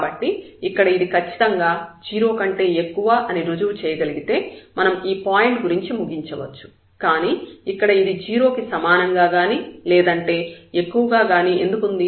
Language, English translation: Telugu, So, here if we can prove that this is strictly greater than 0 then it is fine, we can conclude about the point but here this is now greater than equal to 0 why